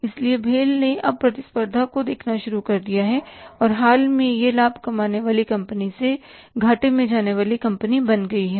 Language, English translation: Hindi, So, BHA has now started facing the competition and recently it has become a loss making company from the profit making company